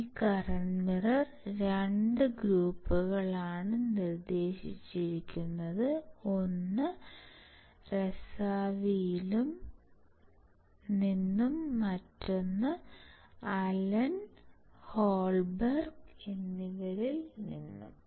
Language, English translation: Malayalam, This current mirror were proposed by 2 groups one is from Razavi and another from Allen and Holberg